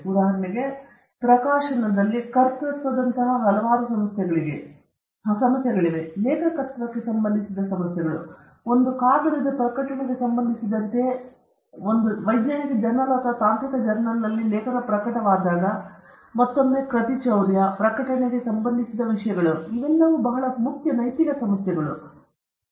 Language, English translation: Kannada, For instance, in publishing, there are several issues like authorship issues related to authorship, whom should be given credit when a paper is being published in a scientific journal or a technical journal, again plagiarism, issues related to publishing; all these are very important ethical issues